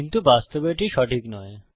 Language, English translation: Bengali, But in actual fact, thats not true